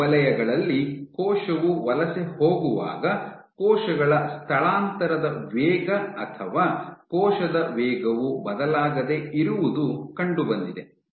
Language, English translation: Kannada, And what they found was when the cell was migrating on these zones your cell migration rate or cell speed was unchanged